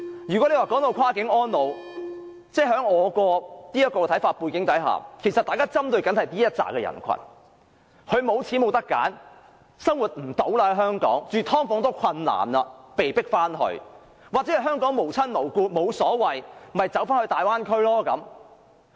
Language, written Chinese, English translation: Cantonese, 如果說"跨境安老"，我認為大家針對的是這群長者，他們沒有錢，沒有選擇，不能在香港生活，連"劏房"也負擔不來，被迫回內地，或在香港無親無故，沒有太大意見的，便到大灣區安老。, In my opinion when we talk about Cross - boundary elderly care we are focusing on this group of elderly persons because they do not have money . They have no choice because they cannot even afford to live in sub - divided units . They cannot live in Hong Kong